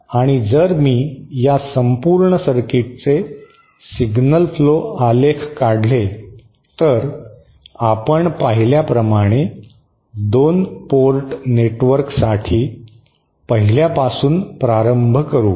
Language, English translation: Marathi, And if I draw the signal flow graph diagram of this entire circuit, so we can start with the 1st, just for a 2 port network as we have seen